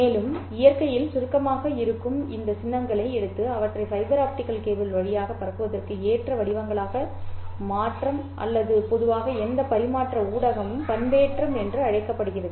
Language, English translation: Tamil, And this process of taking these symbols which are essentially abstract in nature and converting them into forms which are suitable for transmission over the fiber optic cable or in general any transmission medium is called as the modulation